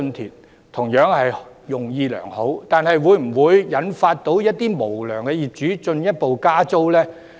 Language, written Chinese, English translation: Cantonese, 他們的建議同樣是用意良好，但會否引致一些無良業主進一步加租呢？, Likewise well - intentioned will their suggestions induce some unscrupulous landlords to further increase rentals?